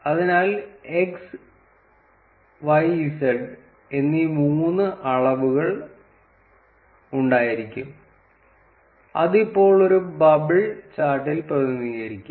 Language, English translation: Malayalam, So, we would have three dimensions x, y, z which would now represent on a bubble chart